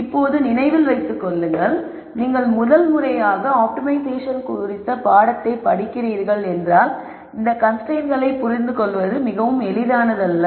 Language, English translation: Tamil, Now just keep in mind that if you are seeing course on optimization for the first time it is not very easy or natural to understand this constraints right away